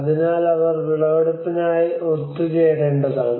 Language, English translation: Malayalam, So that they have to come together for the harvest